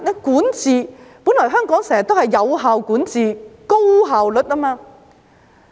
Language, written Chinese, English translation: Cantonese, 管治，本來香港經常有效管治，具高效率。, Speaking of governance Hong Kong used to be always effective and efficient in governance